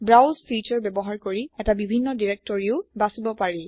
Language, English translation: Assamese, Using the browse feature, a different directory can also be selected